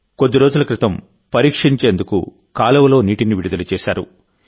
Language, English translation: Telugu, A few days ago, water was released in the canal during testing